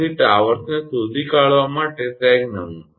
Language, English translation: Gujarati, So, sag template for locating towers